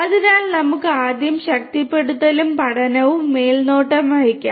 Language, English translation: Malayalam, So, let us take up reinforcement and supervised learning first